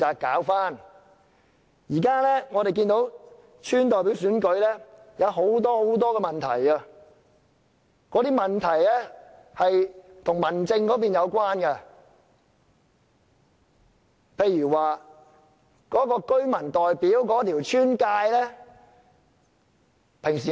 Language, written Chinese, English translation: Cantonese, 我們看到現時的村代表選舉有很多問題，這些問題均與民政有關，其中一個例子是鄉村的劃界。, We have seen that the election of village representatives is riddled with problems currently . These problems all have to do with home affairs and a case in point is the demarcation of the boundaries of villages